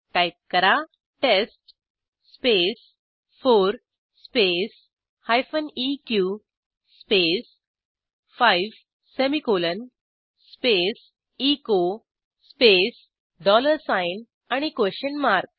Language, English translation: Marathi, Type: test space 4 space hyphen eq space 4 semicolon space echo space dollar sign and a question mark